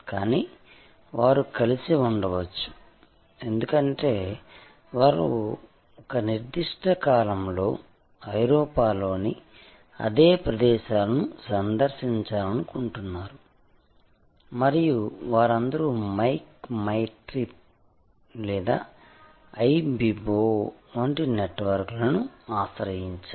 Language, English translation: Telugu, But, they might have been brought together, because they want to visit the same locations in Europe at a particular period and they are all approaching a network like Make my trip or Ibibo